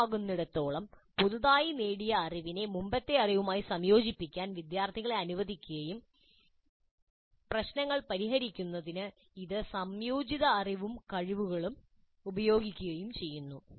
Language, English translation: Malayalam, So as often as possible, allow the students to combine the newly acquired knowledge with the earlier knowledge and use this combined knowledge and skills to solve problems